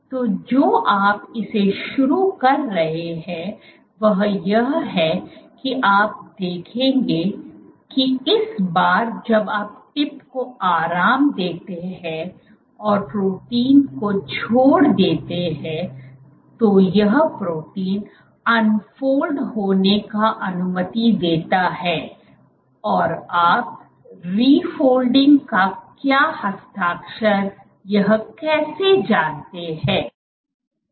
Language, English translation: Hindi, So, what you are introducing it is you would see that this time allows when you relax the tip release the protein it allows the protein to refold, and how do you know what is the signature of refolding